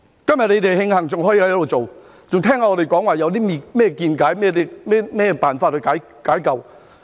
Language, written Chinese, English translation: Cantonese, 今天你們慶幸還可以繼續做，還可以聆聽我們有何見解，有何辦法解救。, Today you should feel blessed that you can continue to work and listen to the views and solutions we have put forth